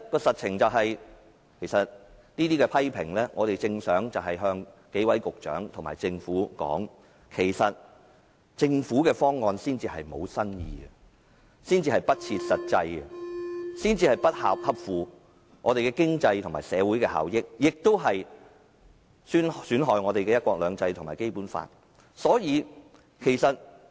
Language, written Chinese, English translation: Cantonese, 實情是，我們正想向幾位局長和政府說，政府的方案才是沒有新意、不切實際、不合乎經濟和社會效益，亦損害"一國兩制"和《基本法》。, I would like to tell the Secretaries and the Government that the Governments proposal is in fact an old tune which is not practicable economically and socially inefficient and detrimental to one country two systems and the Basic Law